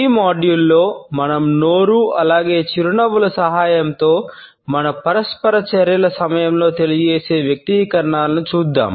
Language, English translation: Telugu, In this module, we would look at the expressions which are communicated during our interactions with the help of our Mouth as well as with the Smiles